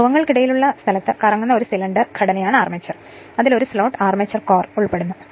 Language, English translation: Malayalam, The armature is a cylindrical body rotating in the space between the poles and comprising a slotted armature core